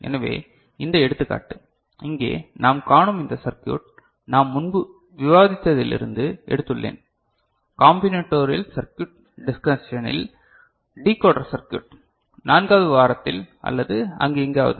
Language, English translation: Tamil, So, this example, this circuit that we see over here I have taken it from our earlier discussion with decoder circuit in the combinatorial circuit discussion ok, somewhere in week 4 or so ok